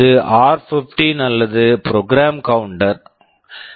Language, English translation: Tamil, This is r15 or the program counter